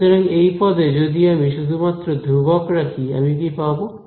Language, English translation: Bengali, So, in this term if I keep only the constant term what will I get